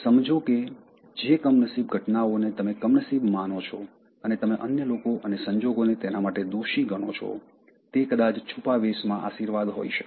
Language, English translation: Gujarati, Understand, unfortunate events, which you think are unfortunate and you curse other people and circumstances, maybe blessings in disguise